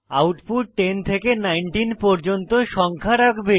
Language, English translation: Bengali, The output will consist of numbers 10 through 19